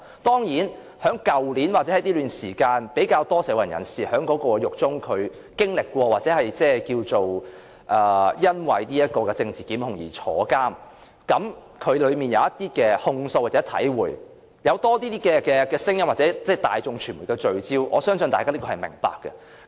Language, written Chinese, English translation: Cantonese, 當然，在去年或這段時間，比較多社運人士因為政治檢控而坐牢，因而在獄中有親身經歷，他們在獄中有些控訴和體會，從而在社會有更多聲音或令大眾傳媒聚焦，我相信大家是會明白這個現象。, True many activists were jailed for political reasons last year and recently and their personal experiences and complaints have aroused a larger voice in society as well as catching the medias focus . I believe Members do realize this phenomenon